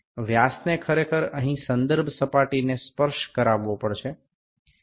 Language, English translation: Gujarati, The dia actually it has to touch a reference plane here, the dia is about, the dia is about 51